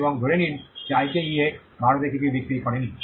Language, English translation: Bengali, And assume that IKEA did not sell anything in India